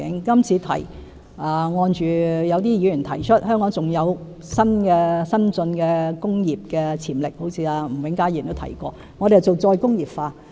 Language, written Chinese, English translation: Cantonese, 今次我們是按某些議員提出，香港有發展新進工業的潛力，好像吳永嘉議員也曾提及，我們要進行再工業化。, As per the suggestion made by certain Members Hong Kong has the potential for developing new industries we will be carrying out re - industrialization as mentioned by Mr Jimmy NG